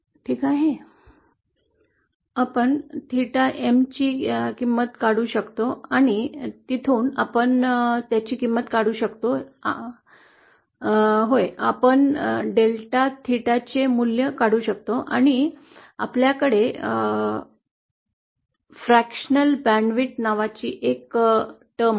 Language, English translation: Marathi, So we kind of find out the value of theta M and from there we can find out the value of, uhh; we can find out the value of delta theta and we have a term called fractional band width